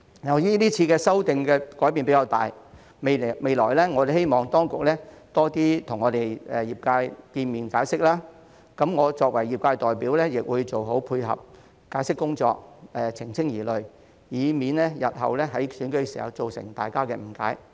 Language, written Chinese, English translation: Cantonese, 由於是次修訂改變較大，我們希望當局未來多與業界見面解釋，而我作為業界代表，亦會做好配合解釋工作、澄清疑慮，以免日後在選舉時造成大家誤解。, Given the rather substantial changes involved in this amendment exercise we hope that the authorities will meet with and explain to the sector more often in the future . As a sector representative I will also complement the explanatory efforts and clarify doubts so as to avoid misunderstanding in future elections